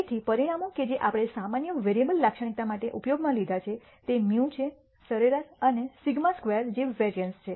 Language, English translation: Gujarati, So, the parameters that we have used to characterize the normal variable is mu the mean and sigma squared which is the variance